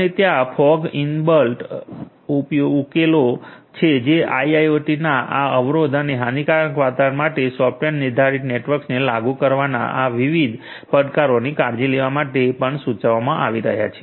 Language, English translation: Gujarati, So, there are like fog enabled solutions that are also being proposed in order to take care of these different challenges of implementing software defined networks for this constraint and constraint and lossy environments of IIoT